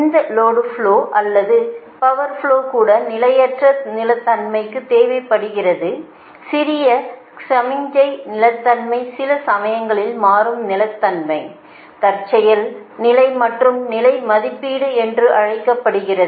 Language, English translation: Tamil, apart from this, this load flow or power flow is also required for transient stability, that small signal stability sometimes will call dynamic stability, contingency and state estimation, right